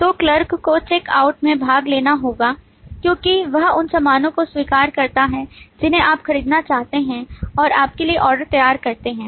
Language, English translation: Hindi, So the clerk has to take part in the check out because she accepts the goods that you want to buy and prepares the orders for you